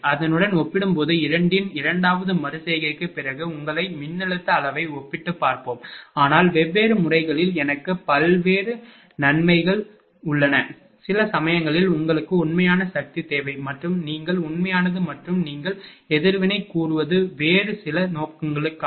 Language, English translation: Tamil, Compared to it will compare the voltage magnitude yourself after second iteration of both then will know, but different methods I have different advantage advantages, sometimes we need real power and your what to call real and reactive component of the current also for some other purpose